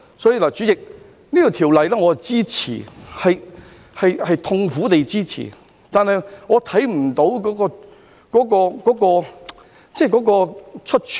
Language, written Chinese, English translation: Cantonese, 因此，主席，我支持《條例草案》，是痛苦地支持的，我看不到出處。, Therefore President I support the Bill yet it is a painful decision and I do not see any way out